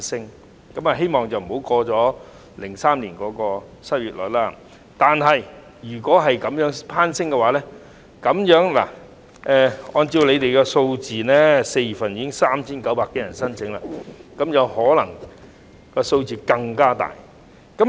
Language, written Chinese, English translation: Cantonese, 我固然希望不會突破2003年的失業率，但失業率若繼續攀升，按照政府的數字 ，4 月份已有3900多人申請綜援，日後這個數字可能更大。, I certainly do not want to see the unemployment rate surpass that of 2003 . However if the unemployment rate continues to rise the number of CSSA applicants may later exceed the figure of 3 900 - odd recorded in April as announced by the Government